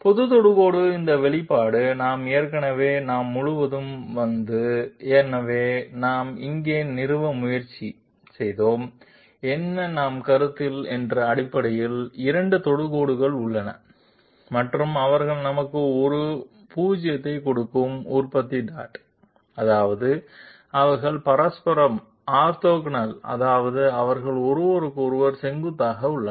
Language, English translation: Tamil, This expression of general tangent we already we have come across, so what we are trying to establish here is that there are basically two tangents that we are considering and they are dot producted to give us a 0, which means they are neutrally orthogonal that means they are perpendicular to each other